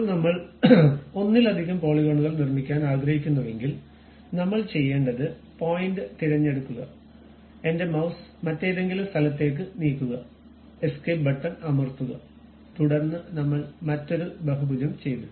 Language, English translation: Malayalam, Now, if I would like to construct multiple polygons, what I have to do is pick the point, just move my mouse to some other location, press Escape button, then we we are done with that another polygon